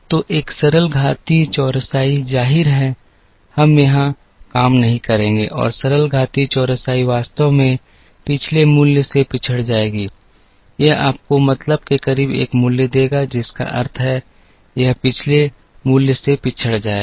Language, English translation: Hindi, So, a simple exponential smoothing, obviously, we will not work here and simple exponential smoothing will actually lag behind the last value, it will give you a value closer to the mean, which means, it will lag behind the last value